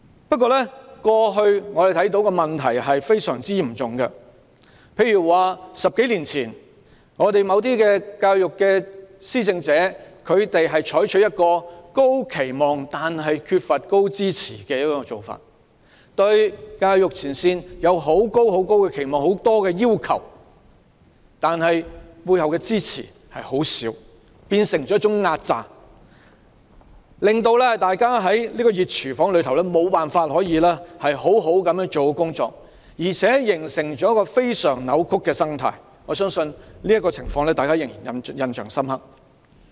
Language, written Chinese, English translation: Cantonese, 不過，過去的問題非常嚴重，在10多年前，某些教育施政者採取一種高期望但缺乏高支持的做法，對教育前線人員有極高期望及極多要求，但背後的支持卻很少，變成一種壓榨，令大家在這個"熱廚房"中無法做好工作，形成一個非常扭曲的生態，我相信大家對這情況仍然印象深刻。, The approach adopted by certain education administrators some 10 years ago put high expectations on frontline educators without giving them high level of support . With little support these educators were expected to fulfil many expectations and requests . This has become a kind of oppression on educators and created a distorted ecology in which it was impossible for frontline educators to do a good job in such a hot kitchen